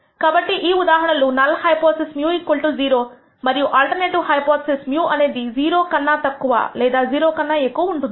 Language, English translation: Telugu, So, in this case the null hypothesis is mu equals 0 and the alternative is mu less than 0 or greater than 0